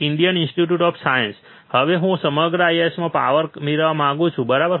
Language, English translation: Gujarati, Indian Institute of Science, and I want to have power across whole IISC, right